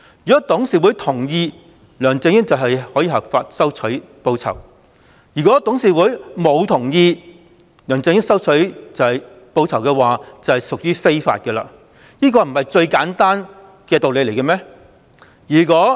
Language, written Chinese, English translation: Cantonese, 如果董事會同意，梁振英便可以合法收取報酬，如果董事會沒有同意，而梁振英收取報酬，便屬於非法，這不是最簡單的道理嗎？, If the board gave its consent then LEUNG Chun - yings acceptance of this reward would be lawful . If the board did not give its consent then LEUNGs acceptance of this reward would be unlawful . Is this not simple?